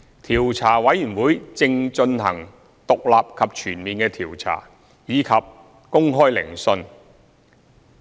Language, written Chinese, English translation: Cantonese, 調查委員會正進行獨立及全面的調查，以及公開聆訊。, The Commission is conducting an independent and comprehensive inquiry and hearing the case in public